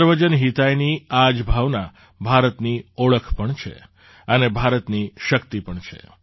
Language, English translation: Gujarati, This spirit of Sarvajan Hitaaya is the hallmark of India as well as the strength of India